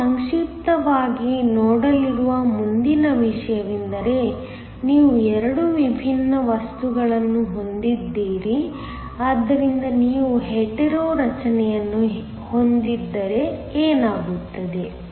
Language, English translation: Kannada, The next thing that we are going to look at briefly is, what happens if you have 2 different materials so that, you have a Hetero structure